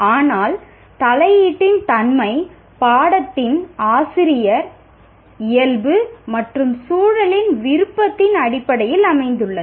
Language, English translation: Tamil, But the nature of intervention is based on the preference of the teacher, nature of the subject and the context